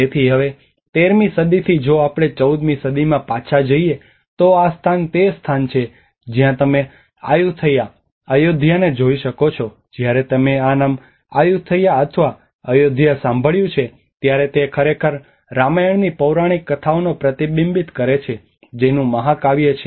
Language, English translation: Gujarati, So now from the 13th century if we go back to the 14th century, this is where the Ayuthaya, Lanna and you can see this Ayuthaya, Ayodhya when you heard this name Ayutthaya or Ayodhya it actually reflects the mythological stories of Ramayana, the epics of Ramayana from Indian subcontinent